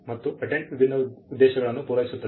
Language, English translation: Kannada, Patent serve different purposes